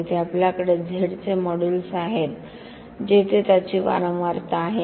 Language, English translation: Marathi, Here we have modulus of Z where is a its frequency